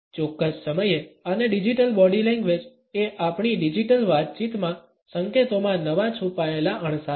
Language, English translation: Gujarati, At a certain time and digital body language are the new hidden cues in signals in our digital conversations